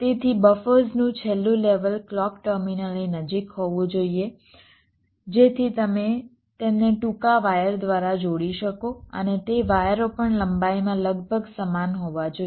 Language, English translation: Gujarati, so the last level of buffers should be close to the clock terminals so that you can connect them by shorter wires, and those wires also should also be approximately equal in length